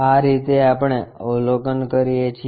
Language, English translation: Gujarati, This is the way we observe